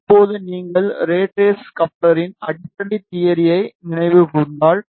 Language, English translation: Tamil, Now if you recall the basic theory of rat race couplers